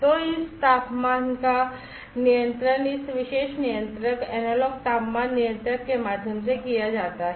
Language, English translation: Hindi, So, that the controlling of this temperature is done through this particular controller, the analog temperature controller